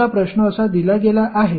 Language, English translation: Marathi, Suppose the question is given like this